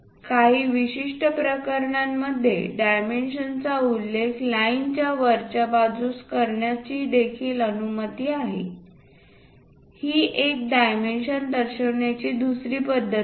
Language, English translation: Marathi, In certain cases, it is also allowed to mention dimension above the line that is another style of representing